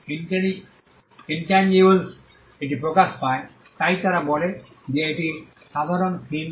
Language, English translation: Bengali, Now, because it manifests on intangibles this, they say is the common theme